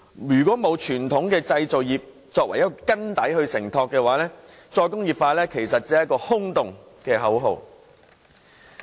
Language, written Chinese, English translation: Cantonese, 如果沒有傳統製造業作為承托的根基，"再工業化"只是一句空洞的口號。, Without the support of conventional industries as the foundation re - industrialization will be nothing but an empty slogan